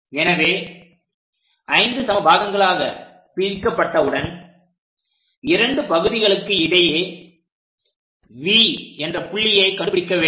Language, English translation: Tamil, So, once it is divided into 5 equal parts, two parts location we are going to locate V point